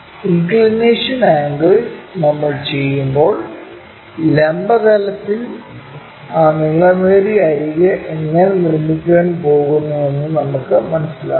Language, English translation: Malayalam, When we do that the inclination angle we can sense the longer edge how it is going to make with vertical plane